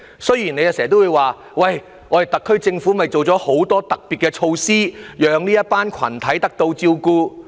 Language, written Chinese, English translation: Cantonese, 雖然你經常說，特區政府已推出很多特別措施，讓這些群體得到照顧。, You always say the SAR Government has implemented a lot of special measures to take care of these groups